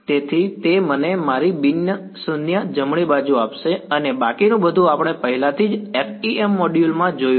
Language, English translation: Gujarati, So, that gives me my non zero right hand side and rest of all we have already seen in the FEM module